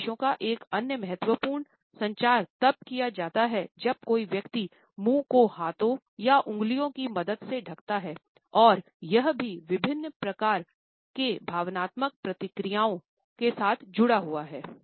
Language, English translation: Hindi, Another important communication of messages is done when a person covers the mouth with the help of hands or certain fingers and this is also associated with different types of emotional reactions